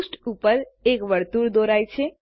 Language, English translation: Gujarati, A circle is drawn on the page